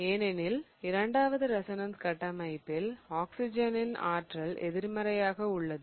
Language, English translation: Tamil, That is because, remember in the second resonance structure, the negative charges on the oxygen